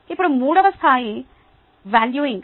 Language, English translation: Telugu, now the third level is valuing